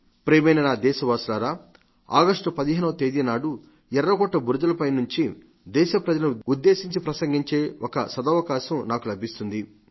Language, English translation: Telugu, Dear countrymen, I have the good fortune to talk to the nation from ramparts of Red Fort on 15thAugust, it is a tradition